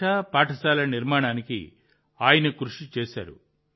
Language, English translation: Telugu, He has undertaken the task of setting up a language school